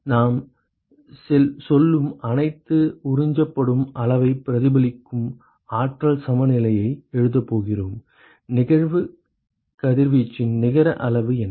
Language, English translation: Tamil, We are going to write an energy balance to reflect the amount that is absorbed all we are saying is, what is the net amount of incident irradiation